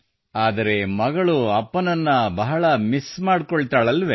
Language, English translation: Kannada, But the daughter does miss her father so much, doesn't she